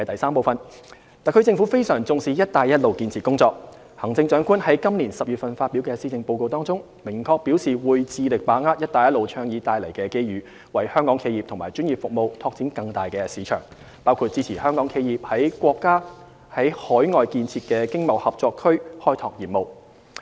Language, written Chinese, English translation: Cantonese, 三特區政府非常重視"一帶一路"建設工作，行政長官在今年10月發表的施政報告中，明確表示會致力把握"一帶一路"倡議帶來的機遇，為香港企業和專業服務拓展更大的市場，包括支持香港企業於國家在海外建設的經貿合作區開拓業務。, As the Chief Executive set out in her Policy Address this October the Government will capitalize on the opportunities brought by the Initiative to open up more markets for Hong Kong enterprises and professional services including supporting Hong Kong enterprises in setting up businesses in the Mainlands overseas Economic and Trade Co - operation Zones ETCZs